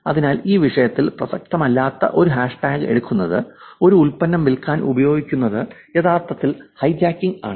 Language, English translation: Malayalam, Therefore, taking the hashtag which is not relevant to this topic, using it for selling a product is actually hijacking